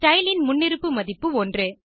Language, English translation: Tamil, The default value of style is 1